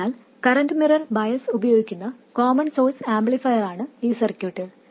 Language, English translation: Malayalam, So this circuit is the common source amplifier using current mirror bias